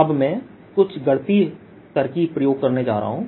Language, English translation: Hindi, now i am going to do some mathematical trick